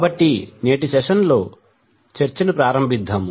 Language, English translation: Telugu, So let us start the discussion of today’s session